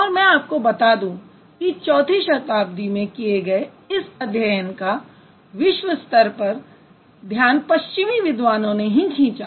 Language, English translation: Hindi, And, however, I must tell you that this study, which was done in the early, let's say, 4th century BC, caught the attention of the world only by the Western scholars